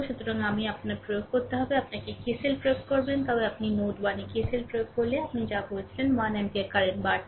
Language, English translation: Bengali, So, you have to apply your; what you call that your if you apply KCLs at node 1 if you apply KCL ah one ampere current is increasing